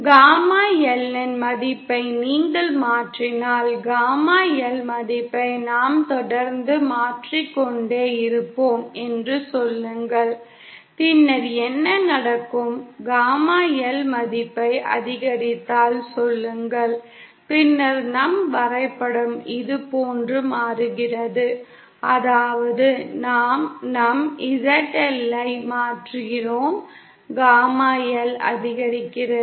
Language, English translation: Tamil, If you change the value of Gamma L, say we keep on changing the value of gamma L, then what happens is, say if we increase the value of gamma L, then our graph changes like this, That is we change our ZL so that gamma L increases